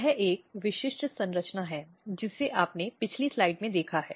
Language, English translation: Hindi, So, for example, this is a typical same structure which you have seen in the previous slide